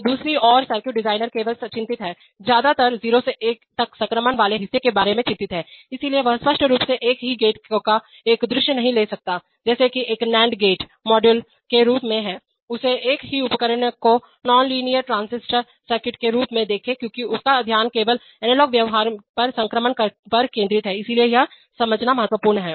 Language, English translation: Hindi, So on the other hand the circuit designer is only concerned, mostly concerned about the transition part from 0 to 1, so he obviously cannot take a view of the same gate as that of an, as that of an nand gate model, he has to take a view of the same device as a non linear transistor circuit because his attention is focused only on the transition on the analog behavior right, so it is important to understand that